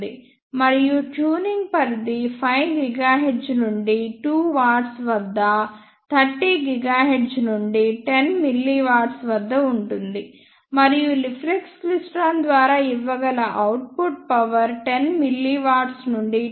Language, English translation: Telugu, And the tuning range is from 5 gigahertz at to watt to 30 gigahertz at 10 mili watt and the power output that can be given by a reflex klystron is from 10 mili volt to 2